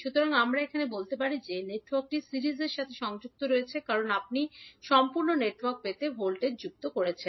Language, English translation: Bengali, So, here we can say that the network is connected in series because you are adding up the voltages to get the complete network